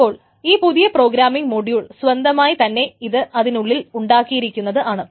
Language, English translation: Malayalam, So this the new programming model itself has to have these constructs build into it